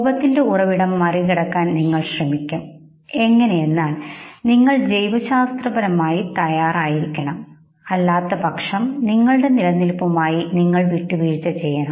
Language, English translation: Malayalam, And you would try to know overpower the source of anger and therefore you have to be biologically ready, else you would be compromising with your survival